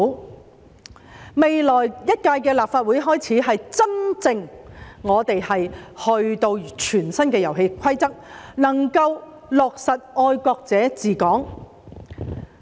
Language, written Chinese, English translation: Cantonese, 由未來一屆的立法會開始，立法會真正有全新的遊戲規則，能夠落實"愛國者治港"。, Starting from the next term of the Legislative Council the Council will really have new rules of the game to implement the principle of patriots administering Hong Kong